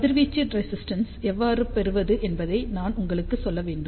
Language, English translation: Tamil, ah I just to tell you how to obtain the radiation resistance